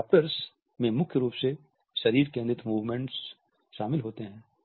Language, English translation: Hindi, Adopters principally comprise body focused movements